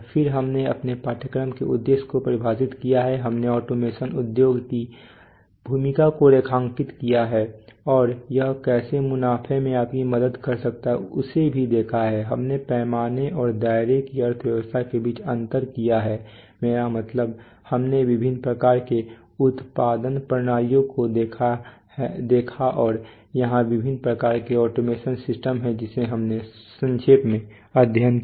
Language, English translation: Hindi, Then we have defined our course objectives we have underlined the role of automation industry and how it can help you on profits we have distinguish between economy of scale and scope, we have I mean, shown the various types of production systems and they are different types of automation systems so this is what we have done in brief